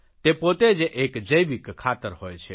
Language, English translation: Gujarati, They are organic fertilizer themselves